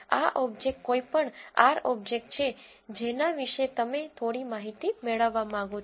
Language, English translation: Gujarati, This object is any R object about which you want to get some information